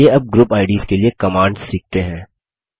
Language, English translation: Hindi, Let us now learn the commands for Group IDs